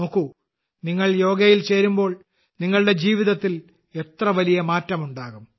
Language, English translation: Malayalam, See, when you join yoga, what a big change will come in your life